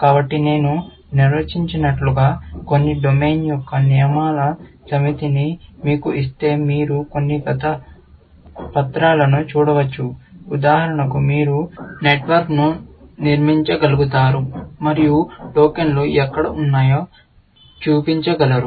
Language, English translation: Telugu, So, I will expect that if I give you a set of rules of some domain like I define, you can look at some past papers, for example, you should be able to construct the network, and show, where the tokens are